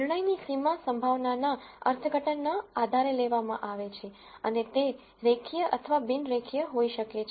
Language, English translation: Gujarati, The decision boundary is derived based on the probability interpretation and it can be linear or non linear